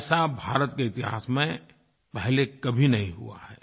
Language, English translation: Hindi, This is unprecedented in India's history